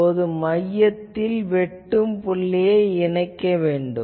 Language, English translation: Tamil, Now, from the center, you draw and connect this intersection point